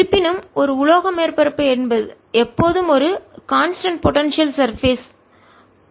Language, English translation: Tamil, however, a metallic surface, his is always constant potential surface